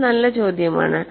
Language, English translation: Malayalam, That’s a good question